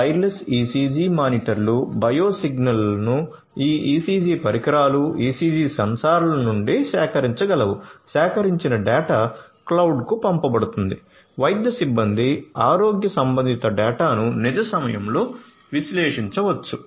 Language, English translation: Telugu, Wireless ECG monitors are there which can collect bio signals from this ECG devices, ECG sensors; the collected data could be sent to the cloud; medical staffs can analyze the health related data in real time